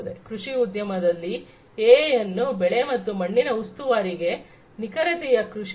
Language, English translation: Kannada, In the agriculture industry AI could be used for crop and soil monitoring, for precision agriculture